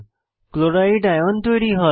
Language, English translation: Bengali, Chloride(Cl^ ) ion is formed